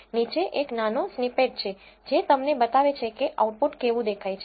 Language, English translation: Gujarati, There is a small snippet below which shows you how the output looks